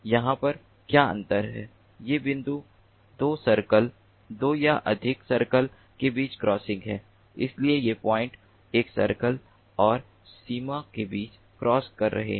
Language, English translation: Hindi, over here, these points are crossings between two circles, two or more circles, whereas these points are crossing between a circle and the boundary